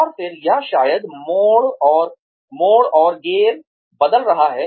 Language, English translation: Hindi, And then or, maybe, turning and changing gears